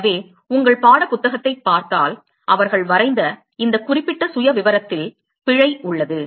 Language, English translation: Tamil, So, if you look at your text book there is a mistake in this particular profile that they have drawn